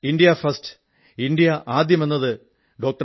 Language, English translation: Malayalam, "India First" was the basic doctrine of Dr